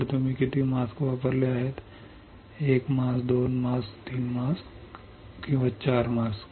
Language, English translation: Marathi, So, how many mask you have used; 1 mask, 2 masks, 3 mask or 4 mask